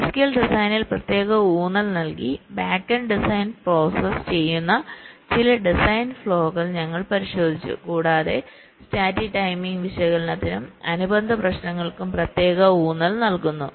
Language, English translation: Malayalam, like cadians, we looked at some design flow in specific emphasis on physical design process, the backend design and also special emphasis on static timing analysis and related issues